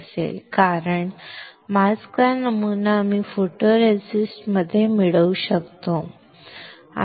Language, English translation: Marathi, Why, because same pattern of the mask I can get on the photoresist